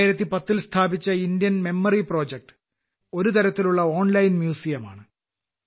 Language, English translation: Malayalam, Established in the year 2010, Indian Memory Project is a kind of online museum